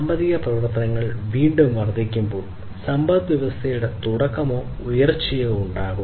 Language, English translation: Malayalam, So, basically when the economic activities again increase, then there will be commencement of or the rise of the economy overall